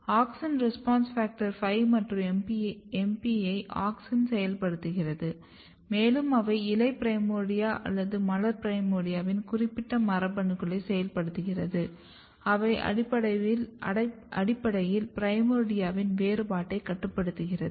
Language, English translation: Tamil, Auxin is activating, AUXIN RESPONSE FACTOR5 or MP and then they are activating some leaf primordia or floral primordia a specific genes which are basically regulating primordia differentiation